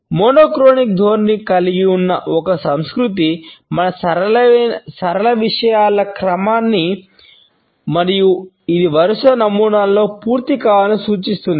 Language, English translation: Telugu, A culture which has a monochronic orientation assumes our linear order of things and it suggests that things have to be completed in a sequential pattern